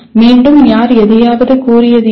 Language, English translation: Tamil, Again, who was it that who stated something …